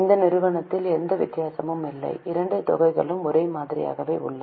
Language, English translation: Tamil, For this company there is no difference in that so both the amounts are same